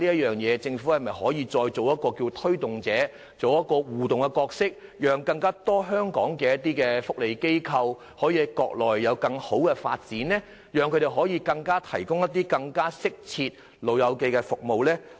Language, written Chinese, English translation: Cantonese, 但是，政府可否就此承擔更大的推動和互動角色，讓更多香港福利機構在國內開拓更加良好的產業發展，以便向長者提供更適切服務呢？, However I wonder if the Government can assume a more active role in promoting work in this area and interacting with different parties so that more welfare organizations in Hong Kong can achieve better development of industries on the Mainland with a view to providing elderly persons with more appropriate services